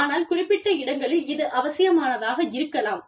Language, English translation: Tamil, But, in some places, it might be necessary